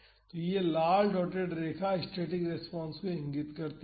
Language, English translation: Hindi, So, this red dotted line indicates the static response